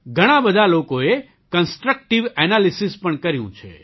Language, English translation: Gujarati, Many people have also offered Constructive Analysis